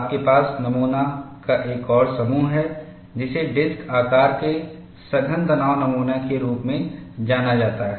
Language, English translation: Hindi, You also have another set of specimen, which is known as disc shaped compact tension specimen